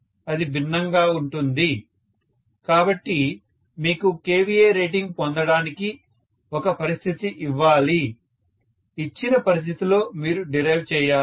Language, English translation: Telugu, It will be different, so you should be given a situation to derive the kVA rating, under that given situation you have to derive